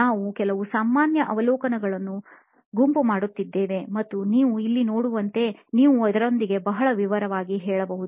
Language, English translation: Kannada, We were sort of grouping some of the common observations and you can be very detailed with this as you can see here